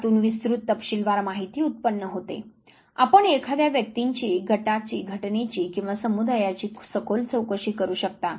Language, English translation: Marathi, They yield great deal of detailed descriptive information you can go for in depth investigation of the individual of group of the event or of the community